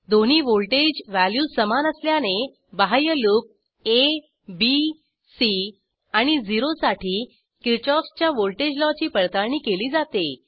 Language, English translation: Marathi, Since both voltage values are equal, the Kirchhoffs Voltage law is verified for outer loop a, b, c and 0